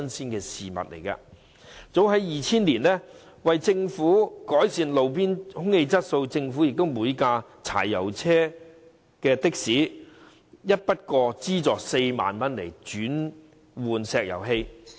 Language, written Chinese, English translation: Cantonese, 早在2000年，為了改善路邊空氣質素，政府便向柴油的士提供每輛4萬元的一筆過資助，供車主轉換至石油氣的士。, As early as 2000 to enhance roadside air quality the Government offered a one - off subsidy of 40,000 per taxi to owners of diesel taxis for the switch to LPG taxis